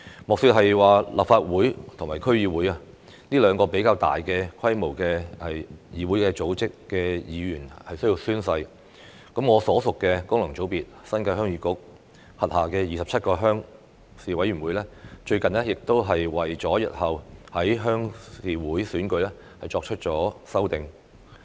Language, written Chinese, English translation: Cantonese, 莫說是立法會和區議會這兩個組織規模較大的議會要求議員宣誓，我所屬的功能界別新界鄉議局，其轄下27個鄉事委員會最近亦為日後的鄉事會選舉作出修訂。, In addition to the Legislative Council and DCs which are two relatively larger organizations requiring members to take an oath the 27 Rural Committees under the New Territories Heung Yee Kuk functional constituency to which I belong have also made amendments for the future Rural Committee Elections recently